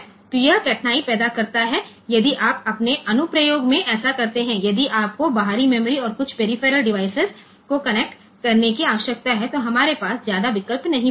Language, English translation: Hindi, So, that creates difficulty so, if you in your application so, if you need to connect both external memory and some peripheral device, then we do not have much option left